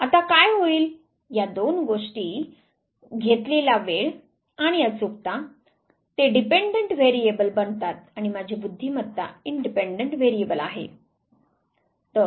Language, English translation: Marathi, Now what will happen these two things the time taken and the accuracy they become the dependent variable and my intelligence is the independent variable